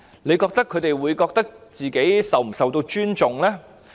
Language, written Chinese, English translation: Cantonese, 大家認為他們會否感覺自己受尊重呢？, Do Members think that they will feel respected?